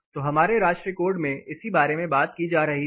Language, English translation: Hindi, So, this exactly was being talked about in our national code